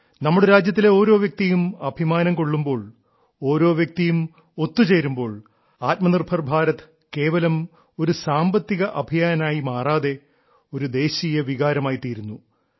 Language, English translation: Malayalam, When every countryman takes pride, every countryman connects; selfreliant India doesn't remain just an economic campaign but becomes a national spirit